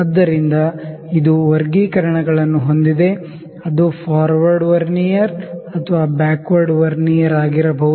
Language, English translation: Kannada, So, it has grade, graduations which can be either in forward Vernier or backward Vernier